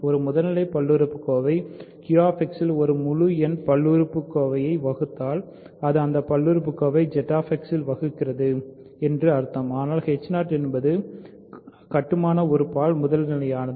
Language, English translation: Tamil, If a primitive polynomial divides another integer polynomial in Q X, then it divides that polynomial in Z X also; so, but h 0 is primitive by construction right